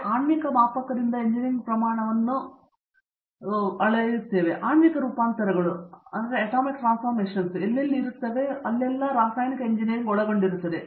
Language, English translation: Kannada, So therefore, going from molecular scale all the way till engineering scale, wherever molecular transformations are involved chemical engineering will be involved